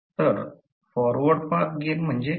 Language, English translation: Marathi, So, what is Forward Path Gain